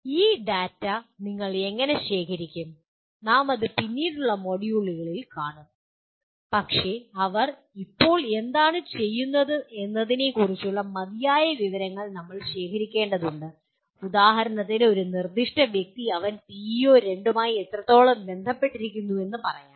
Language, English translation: Malayalam, How do you collect this data, that we will see it in a later module but we must gather enough information about what they are doing at present to say whether for example a specific individual, to what extent he is associated with PEO2 let us say